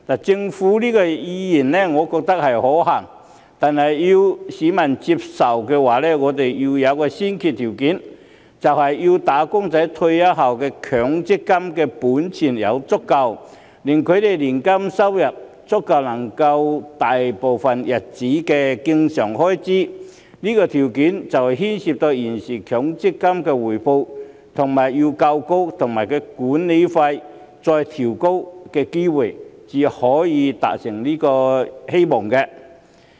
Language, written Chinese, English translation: Cantonese, 政府這個意願，我覺得是可行的，但要市民接受的話，我們要有一個先決條件，就是要"打工仔"在退休後的強積金本錢足夠，令他們的年金收入足以應付他們大部分日子的經常開支，這個條件牽涉到現時強積金的回報率要夠高，以及其管理費要再調低，才有機會可以達成希望。, I think the Governments idea is feasible . However if we want the public to accept it there must be a prerequisite and that is the MPF benefits of the wage earners upon their retirement must be sufficient such that their annuity income will be sufficient to cover their recurrent expenditure most of the time . This condition requires a sufficiently high prevailing rate of return for MPF and further cuts in the management fee otherwise the hope can hardly be realized